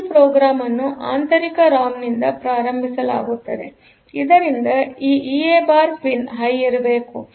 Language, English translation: Kannada, So, this program will be started from the internal ROM; so that way this EA bar pin should be high